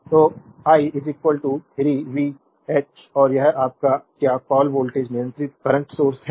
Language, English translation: Hindi, So, i 0 is equal to 3 v x and this is your what you call voltage controlled current source